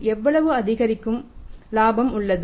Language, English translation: Tamil, How much incremental profit is there